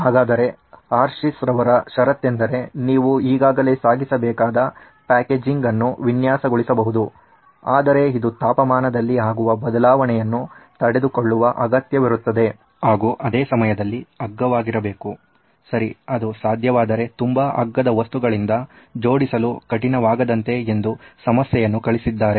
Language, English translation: Kannada, So the condition from Hershey’s is that Yes, you can design packaging which they already have to transport, but it needs to be able to withstand this change in temperature but at the same time it has to be very cheap, okay, very, very inexpensive, if possible do without costly material or tough to assemble material then you are okay, that’s the problem that was posted